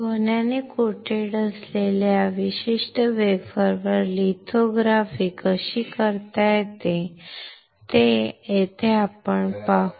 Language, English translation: Marathi, Here we will see how the lithography can be done on, on this particular wafer which is coated with gold